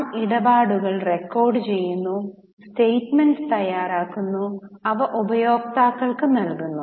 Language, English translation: Malayalam, We record transactions, prepare statements and they are provided to the users